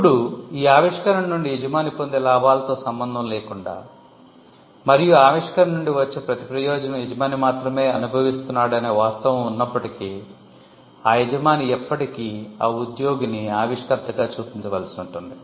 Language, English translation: Telugu, Now, regardless of the gains that an employer will make out of this invention, and the fact that every benefit that flows out of the invention will solely be enjoyed by the employer, the employer will still have to show the employee as the inventor